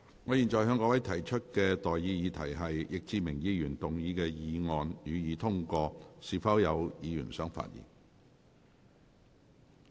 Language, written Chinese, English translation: Cantonese, 我現在向各位提出的待決議題是：易志明議員動議的議案，予以通過。, I now put the question to you and that is That the motion moved by Mr Frankie YICK be passed